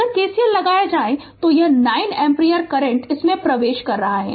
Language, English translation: Hindi, If you apply KCL so, this 9 ampere current is entering into this